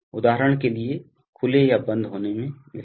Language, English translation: Hindi, For example, fail open or air to close